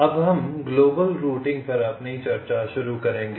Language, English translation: Hindi, shall now start our discussion on global routing